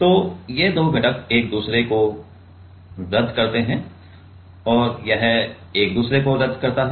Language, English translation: Hindi, So, these two components cancel each other this and this cancels each other